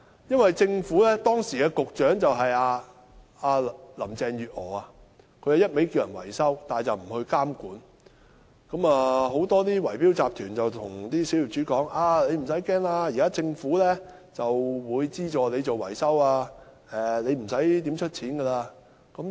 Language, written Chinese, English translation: Cantonese, 由於時任局長林鄭月娥只不斷呼籲業主維修樓宇，卻不監管，以致很多圍標集團對小業主說："你不用怕，現在政府會資助你進行維修，你不用支付太多錢。, Since the then Secretary Carrie LAM only kept calling on property owners to carry out maintenance works on their buildings without monitoring such works many bid - rigging syndicates said to the minority owners Do not worry . Now the Government will subsidize your maintenance works . You need not pay too much money